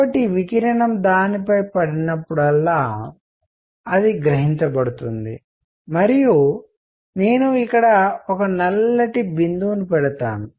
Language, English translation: Telugu, So, that whenever radiation falls on that it gets absorbed plus I will put a black spot here